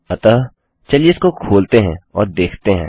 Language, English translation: Hindi, So, lets open it and see